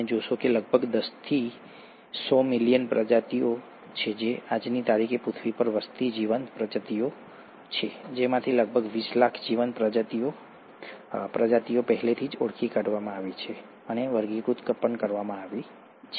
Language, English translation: Gujarati, You find that there are close to about ten to hundred million species, living species living on earth as of today, of which about two million living species have been already identified and classified